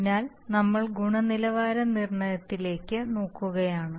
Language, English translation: Malayalam, So we are looking at the quality determinants